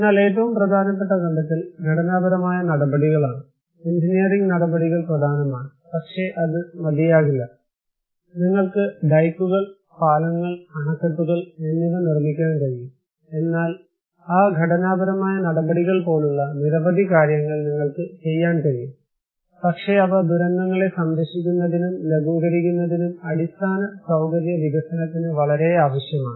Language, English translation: Malayalam, But the most important finding is that structural measures; engineering measures are important, but not enough that is for sure, you can build dikes, bridges, dams but you can make a lot of things like that structural measures, but they are very necessary for infrastructure development to protect and mitigate disasters